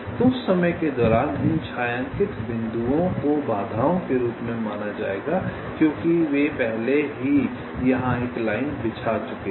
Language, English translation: Hindi, so during that time these shaded points will be regarded as obstacles because they have already laid out a live here